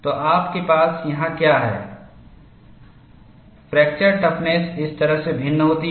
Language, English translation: Hindi, So, what you have here is, the fracture toughness varies like this